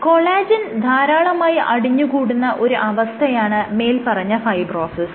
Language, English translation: Malayalam, So, fibrosis is lot of deposition of collagen